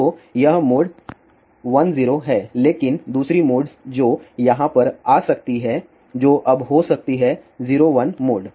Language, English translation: Hindi, So, this mode is 10 but the other mode which can come over here that can be now, 01 mode